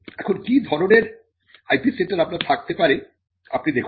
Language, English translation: Bengali, Now, let us look at the type of IP centres you can have